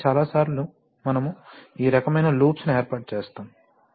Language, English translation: Telugu, So, sometimes, many times we set up this kind of loops